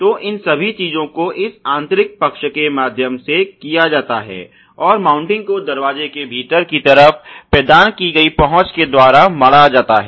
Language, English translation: Hindi, So, all these things are done through this inner side and the mounting is given by the access provided on the inner side of the door